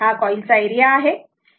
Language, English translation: Marathi, This is the area of the coil right